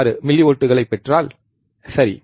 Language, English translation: Tamil, 6 millivolts, right